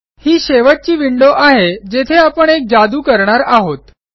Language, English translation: Marathi, This final window is where we will do the magic